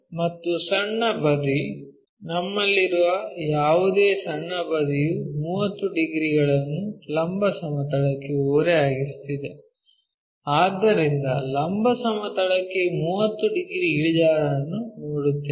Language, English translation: Kannada, And small side, whatever the small side we have that is making 30 degrees inclined to vertical plane, so which way we will seeah 30 degrees inclination to vertical plane